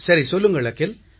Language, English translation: Tamil, Yes Akhil, tell me